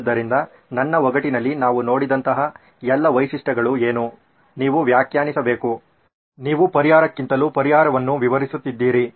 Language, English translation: Kannada, So what all the features like what we saw in my puzzle, you have to define, you are describing a solution more than the solution itself